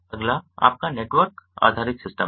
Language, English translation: Hindi, next is your network based system